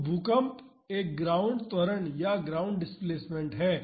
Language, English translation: Hindi, So, earthquake is a ground acceleration or ground displacement